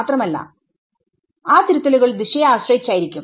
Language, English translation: Malayalam, Again those corrections will be direction dependent